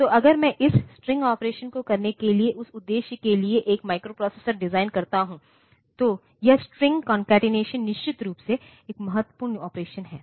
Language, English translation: Hindi, So, if I design a microprocessor for that purpose for doing this string operation then this string concatenation is definitely one important operation